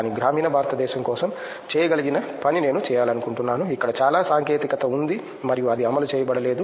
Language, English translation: Telugu, But I would like work for a something that can be done for the rural India, where there is lot of technology and it is not being implemented